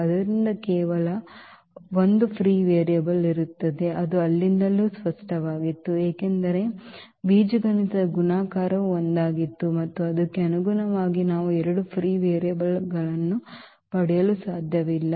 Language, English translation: Kannada, So, there will be only one free variable which was clear from there also because the algebraic multiplicity was one and corresponding to that we cannot get two free variables